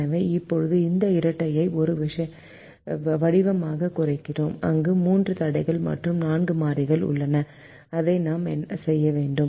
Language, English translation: Tamil, so we now reduce this dual into a form where it has three constraints and four variables